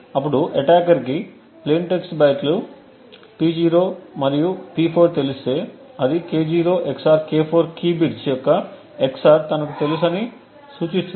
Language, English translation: Telugu, Now if the attacker actually knows the plain text bytes P0 and P4 it would indicate that he knows the XOR of the key bits K0 XOR K4